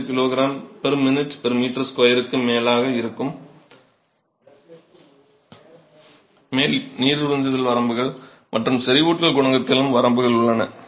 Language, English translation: Tamil, 05 kg per minute per meter square and you have limits on the water absorption and limits on the saturation coefficient as well